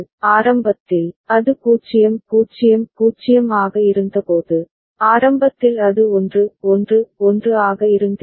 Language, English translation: Tamil, And initially when it was 0 0 0, it would have been initially it was 1 1 1 we are writing that